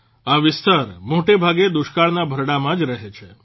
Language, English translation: Gujarati, This particular area mostly remains in the grip of drought